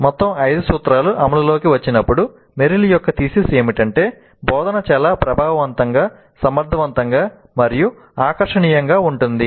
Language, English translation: Telugu, As all the five principles get implemented, Meryl's thesis is that the instruction is likely to be very highly effective, efficient and engaging